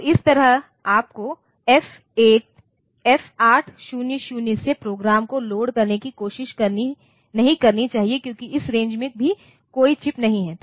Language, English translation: Hindi, And there similarly you should not try to load the program from F800 onwards because in this range also there is no chip